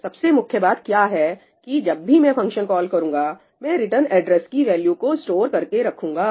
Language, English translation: Hindi, So, what is very important is that whenever I make a function call, I store the value of the return address